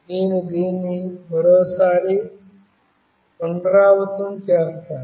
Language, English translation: Telugu, I will just repeat this once more